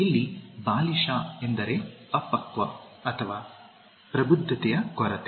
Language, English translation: Kannada, Childish here means immature or lack of maturity